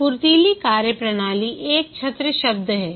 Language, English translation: Hindi, The agile methodologies is an umbrella term